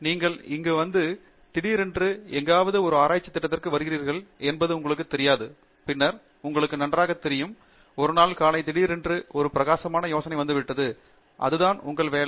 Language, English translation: Tamil, It is not like, you know, you come in here and suddenly you come in to a research program somewhere, and then, you know, one fine morning, you suddenly get a bright idea and that’s it, your work is done; it never works that way